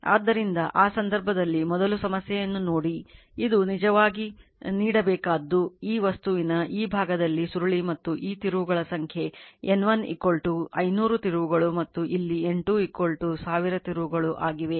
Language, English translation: Kannada, So, in that case first you see the problem it is actually what is given that your you have to this is one your what you call this is coil is own on this on this part of this material right and number of turns N 1 is 500 and here also N 2 is N 2 is equal to 1000 turns right